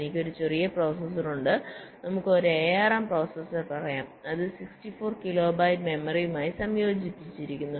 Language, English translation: Malayalam, suppose i am designing an embedded system, so i have a small processor, lets say an arm processor, which is interfaced with sixty four kilo bytes of memory